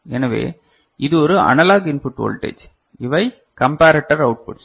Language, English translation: Tamil, So, this is a analog input voltage these are the comparator outputs